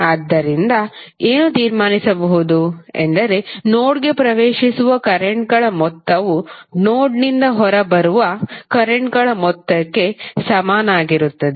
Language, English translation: Kannada, So from this, what you can conclude, that the sum of currents entering the node is equal to sum of currents leaving the node